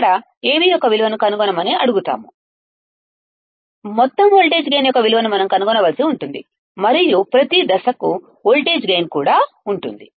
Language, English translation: Telugu, Here, we are asked to find the value of Av, we have to find the value of overall voltage gain, and also the voltage gain for each stage